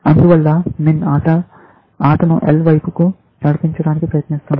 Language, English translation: Telugu, Therefore, min is trying to drive the game towards L